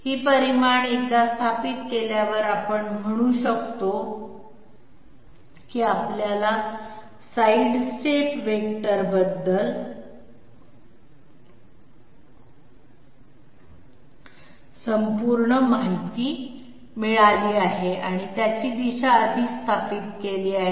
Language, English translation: Marathi, This magnitude once we establish, we will say that we have got the complete information about the sidestep vector, its direction is already established